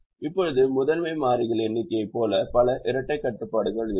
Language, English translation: Tamil, now there will be as many dual constraints as the number of primal variables